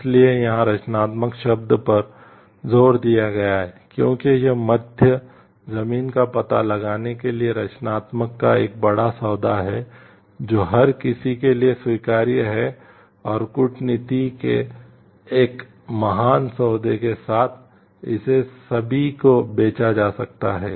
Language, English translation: Hindi, So, the emphasis here is on the word created because it takes a great deal of creativity to find out the middle ground that is acceptable to everyone and with a great deal of diplomacy it can be sold to everyone